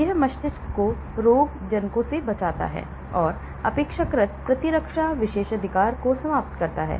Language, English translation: Hindi, It protects the brain from pathogens and endures relatively immune privilege,